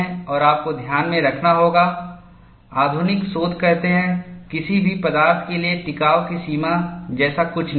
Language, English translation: Hindi, And you have to keep in mind, the modern research says, there is nothing like endurance limit for any material